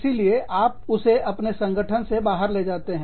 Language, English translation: Hindi, So, you take it, out of your organization